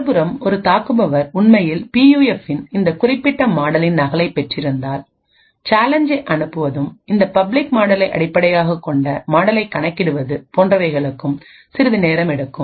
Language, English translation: Tamil, On the other hand, if that is an attacker who actually has a copy of this particular model of the PUF, sending the challenge and computing the model based on this public model would take quite some time even with heavy computing resources